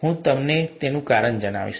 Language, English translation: Gujarati, I’ll tell you the reason why